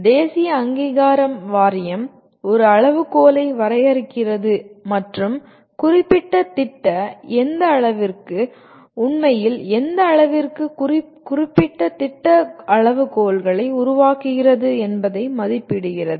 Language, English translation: Tamil, The national board of accreditation defines a set of criteria and actually assesses to what extent the particular program is, to what extent the program is making the specified criteria